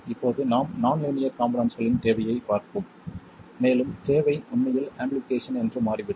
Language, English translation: Tamil, Now we will look at the need for nonlinear elements and it turns out the need is really amplification